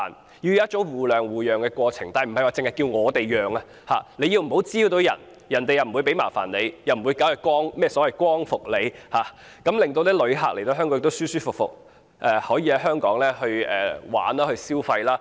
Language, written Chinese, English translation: Cantonese, 這是一種互讓互諒的過程，但不是只叫市民讓，旅客不滋擾別人，市民也不會給他們麻煩，不會展開光復行動，從而令旅客來到香港，可以舒舒服服遊玩及消費。, Concessions should not be merely made by local residents . If visitors cause no nuisances local residents will not give them a hard time and will not initiate any liberation movement . We hope that visitors coming to Hong Kong will have a pleasant sightseeing and shopping experience